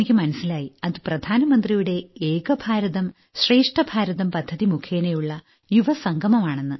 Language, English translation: Malayalam, So I came to know that this is a coming together of the youth through Prime Minister's scheme 'Ek Bharat Shreshtha Bharat'